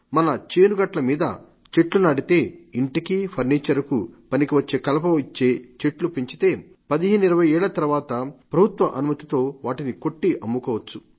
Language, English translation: Telugu, If we plant on the boundaries of our fields timber trees that can be utilised for construction of homes and furniture and which can also be cut and sold after 15 to 20 years with the permission of the government